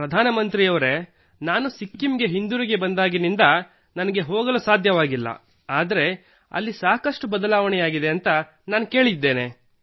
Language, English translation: Kannada, Ji Prime Minister ji, I have not been able to visit since I have come back to Sikkim, but I have heard that a lot has changed